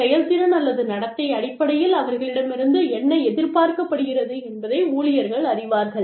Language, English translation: Tamil, So, employees know, what is expected of them, in terms of performance or conduct